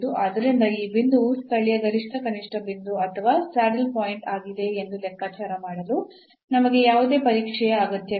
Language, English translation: Kannada, And therefore, we do not need any other test to compute whether this point is a point of a local maximum minimum or a saddle point